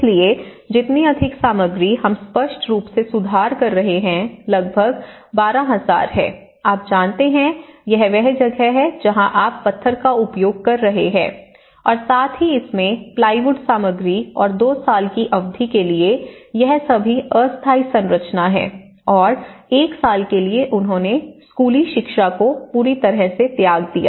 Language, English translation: Hindi, So, the more the material we are improving obviously and this is about 12,000 you know because that is where you are using the stone and as well as the plywood material into it and this all temporary structure for a period of 2 years and because for 1 year they completely abandoned the school education